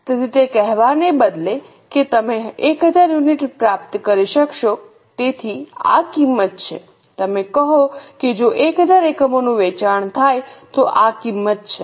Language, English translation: Gujarati, So, instead of saying that you will achieve 1,000 units, so these are the costs, you will say that if 1,000 units is a sales, these are the costs, if 1,100 these are the cost